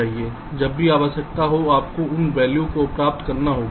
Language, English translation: Hindi, you will have to get those values whenever required